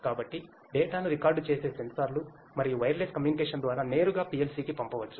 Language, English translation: Telugu, So, the sensors that record the data and through wireless communication it could be directly sent to the PLC